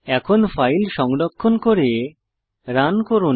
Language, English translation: Bengali, Now, save and run the file